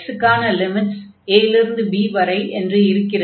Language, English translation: Tamil, So, for x now the limits are from a to b